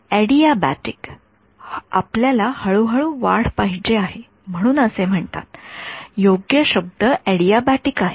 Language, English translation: Marathi, Adiabatic we want a slow increase so it is called so, correct word is adiabatic